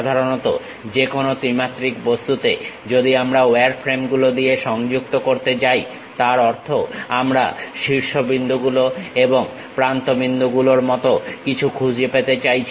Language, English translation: Bengali, Usually any three dimensional object, if we are going to connect it by wireframes; that means, we are going to identify something like vertices and something like edges